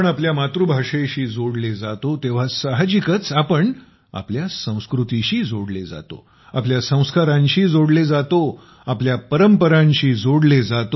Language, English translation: Marathi, When we connect with our mother tongue, we naturally connect with our culture